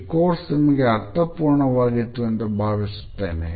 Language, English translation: Kannada, I hope that it has been a meaningful course to you